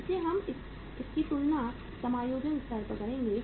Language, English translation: Hindi, So we will compare it with the adjusting level